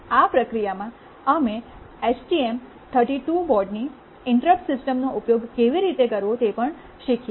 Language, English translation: Gujarati, In the process, we also learnt how to use the interrupt system of the STM32 board